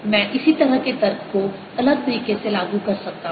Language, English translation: Hindi, i can apply similar argument the other way